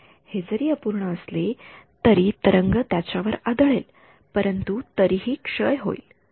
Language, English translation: Marathi, So, that even though is imperfect the wave will hit it, but still it will decay ok